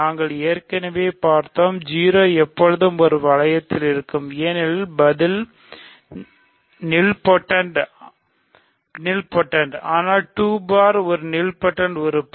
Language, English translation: Tamil, We already saw that, 0 remember is always in any ring, 0 is an nilradical; is in the nilradical because its nilpotent, but 2 bar is also an a nilpotent element